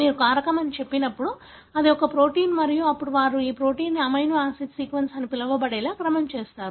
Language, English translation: Telugu, So, it is, when you say factor it is a protein and then they sequenced this protein to obtain what is called as amino acid sequence, right